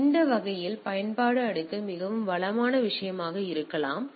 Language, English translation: Tamil, So, that way application layer may be more resourceful thing